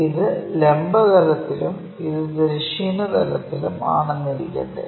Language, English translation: Malayalam, This might be our vertical plane and this is the horizontal plane